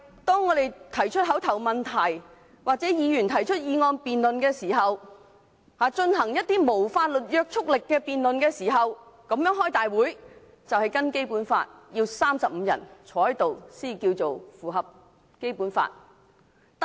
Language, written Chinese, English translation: Cantonese, 當議員提出口頭質詢或議案辯論，即進行無法律約束力的議案辯論時，會議的法定人數要有35人，以符合《基本法》的規定。, When Members ask oral questions or propose motion debates a quorum of 35 Members must be present at these proceedings so as to fulfil the Basic Law requirement